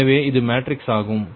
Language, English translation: Tamil, so this is the matrix